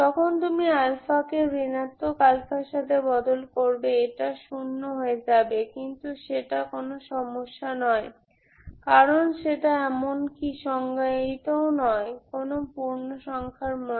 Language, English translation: Bengali, And replace alpha with minus alpha this becomes zero but this cannot be, this is not a problem because this is not even defined at these values